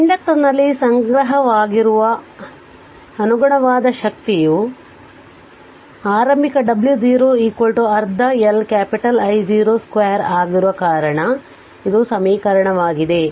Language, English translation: Kannada, So, and the corresponding energy stored in the inductor that is initial W 0 is equal to half L capital I 0 square so this is equation